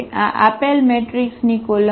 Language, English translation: Gujarati, These are the columns of this given matrix